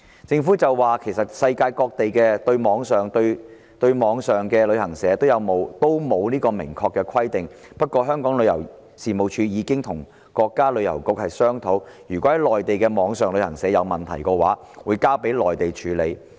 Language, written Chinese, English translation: Cantonese, 政府表示，世界各地對網上旅行社都沒有明確的規定，不過，香港旅遊事務署已經與國家旅遊局商討，如果在內地的網上旅行社有問題，會交予內地處理。, The Government stated that there were no express provisions regarding online travel agents around the world; yet the Tourism Commission of Hong Kong has already negotiated with the China National Tourism Administration and agreed that should there be problems with Mainland online travel agents the cases would be handled by the Mainland authorities